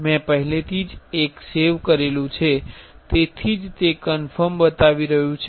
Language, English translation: Gujarati, I already saved one that is why it is showing a confirmed